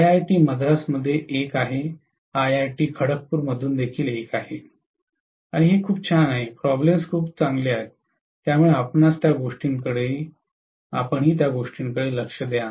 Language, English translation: Marathi, There is one from IIT Madras, there is one from IIT Kharagpur also, and it’s pretty good, the problems are pretty good, so you might like to take a look at those also